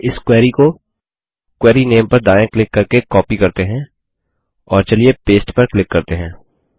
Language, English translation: Hindi, Let us first copy this query, by right clicking on the query name, and then let us click on paste